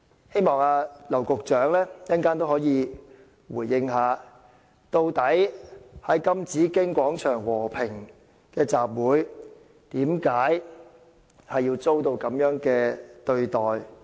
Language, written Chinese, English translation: Cantonese, 希望劉局長稍後回應，究竟在金紫荊廣場和平集會的人，為甚麼會遭受這樣的對待？, I hope Secretary LAU Kong - wah will tell us later why people holding a peaceful assembly at the Golden Bauhinia Square have been so treated